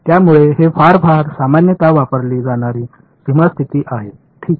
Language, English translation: Marathi, So, this is very very commonly used boundary condition ok